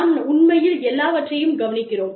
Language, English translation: Tamil, We actually note down, everything